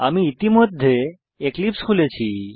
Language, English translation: Bengali, I already have Eclipse opened